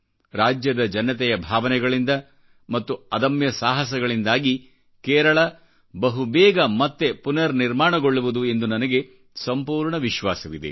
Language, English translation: Kannada, I firmly believe that the sheer grit and courage of the people of the state will see Kerala rise again